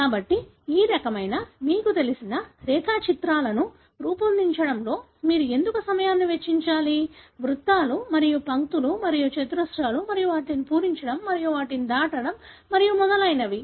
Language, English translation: Telugu, So, why should you spend time in making this kind of you know diagrams; circles and lines and squares and filling them and crossing them and so on